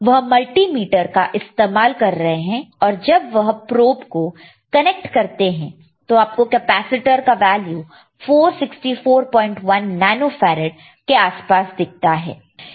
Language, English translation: Hindi, He is using the same multimeter, and when he is connecting with the probe, we can see the value of the capacitor which is around 464